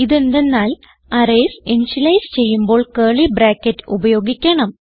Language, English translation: Malayalam, This is because arrays must be initialized within curly brackets